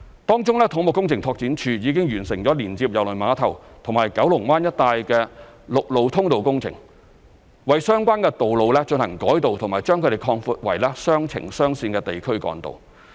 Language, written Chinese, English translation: Cantonese, 當中，土木工程拓展署已經完成連接郵輪碼頭和九龍灣一帶的陸路通道工程，為相關的道路進行改道及把它們擴闊為雙程雙線的地區幹道。, Among others the Civil Engineering and Development Department has completed the works on vehicular accesses connecting the cruise terminal with the Kowloon Bay area realigning and widening the relevant traffic routes into a dual two - lane distributor road